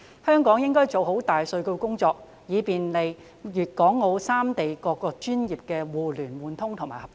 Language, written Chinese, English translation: Cantonese, 香港應該做好大數據工作，以便利粵港澳三地各個專業的互聯互通和合作。, Hong Kong should do well in its big data work to facilitate the connectivity and cooperation amongst various professions in Guangdong Hong Kong and Macao